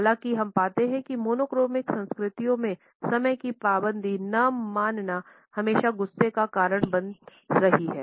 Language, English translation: Hindi, However we find that in monochronic culture’s lack of punctuality is always frowned upon